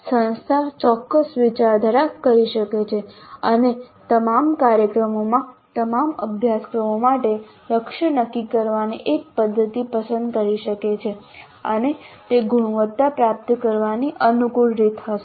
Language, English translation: Gujarati, So the institute can do certain brainstorming and they choose one method of setting the target for all the courses in all the programs and that would be a convenient way of achieving the quality